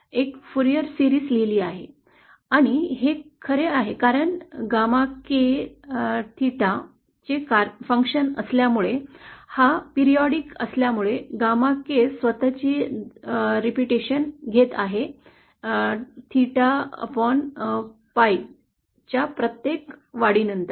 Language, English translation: Marathi, And that’s true because as you can see this gamma k which is a function of theta, itself is in periodic with gamma k replacing itself after every increment of theta by pi